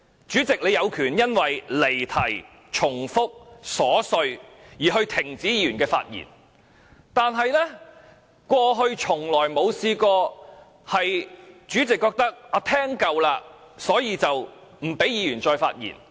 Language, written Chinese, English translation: Cantonese, 主席，你有權因為離題、重複、瑣屑而停止議員的發言，但過去從未出現主席覺得聽夠了而不讓議員再發言。, Chairman you have the power to stop a Member whose speech is irrelevant repetitive or frivolous from speaking but there is no precedent for the Chairman to forbid Members to speak again because he has heard enough